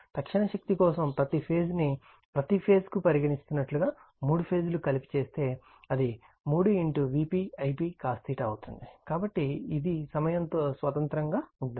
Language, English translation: Telugu, For instantaneous power, for your what you call each phase it is that as the each for each phase does, for three phase if you make it together, it will be 3 V p I p cos theta, so it is independent of time right